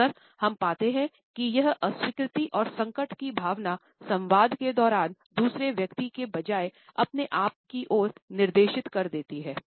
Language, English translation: Hindi, Often, we find that this feeling of disapproval and distress is directed towards oneself rather towards the other person during the dialogue